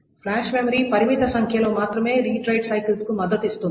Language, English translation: Telugu, So the flash memory can support only a limited number of read write cycles